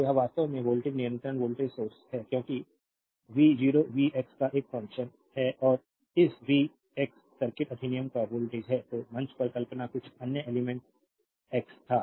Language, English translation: Hindi, So, this is actually they voltage controlled voltage source, because v 0 is a function of v x and this v x is the voltage of the circuit act was some other element x right this why you imagine at the stage